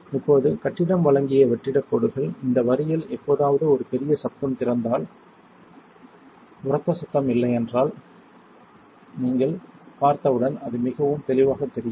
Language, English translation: Tamil, Now the vacuum lines provided by the building if you ever hear a loud noise open in this line, as soon as you see there is no loud noise it would be pretty obvious